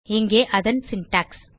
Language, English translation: Tamil, We can see the syntax here